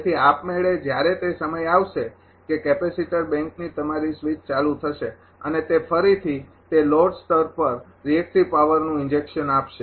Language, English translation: Gujarati, So, automatically when that time will come that is capacitor bank will be ah your switched on and it will again inject reactive power at that load level